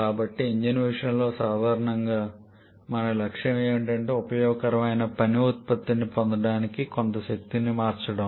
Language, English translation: Telugu, So, for an Indian commonly our objective is to convert some form of energy to get some useful work output